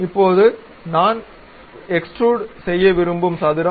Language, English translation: Tamil, Now, this is the square which I want to extrude